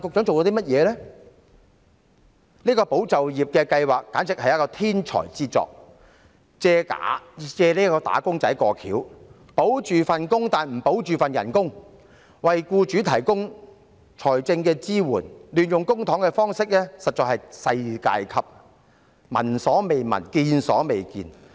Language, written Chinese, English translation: Cantonese, 這項"保就業"計劃可算是一項天才之作，借"打工仔"的名義，聲稱保就業，但不保工資，為僱主提供財政支援，這種亂用公帑的方式實在是世界級，聞所未聞，見所未見。, This ESS can be regarded as the work of a genius . On the pretext of helping wage earners it provides employers with financial support claiming to safeguard jobs but not wages . Such a way of lavishing public funds is indeed unheard - of and unseen across the world